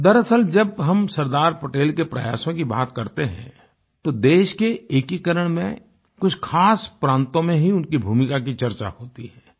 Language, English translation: Hindi, Actually, when we refer to Sardar Patel's endeavour, his role in the unification of just a few notable States is discussed